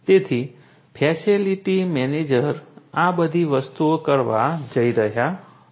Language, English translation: Gujarati, So, facilities manager is going to do all of these different things